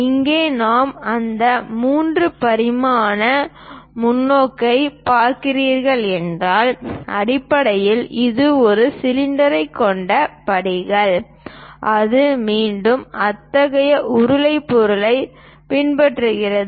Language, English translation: Tamil, Here, if we are looking at that 3 dimensional perspective, basically it is a cylinder having steps and that is again followed by such kind of cylindrical object